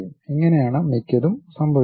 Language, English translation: Malayalam, This is the way most of these things happen